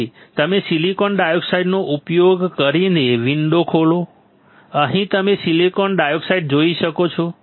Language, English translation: Gujarati, So, when you open the window use silicon dioxide, here you can see silicon dioxide here